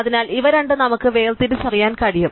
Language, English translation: Malayalam, So, we can distinguish these two